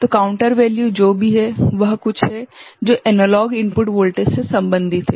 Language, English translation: Hindi, So, whatever is the counter value is something which is related to the analog input voltage